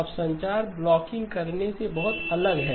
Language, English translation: Hindi, Now very different from blocking in communications